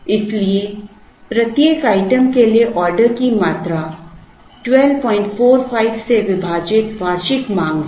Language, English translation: Hindi, So, the order quantity for each item is the annual demand divided by 12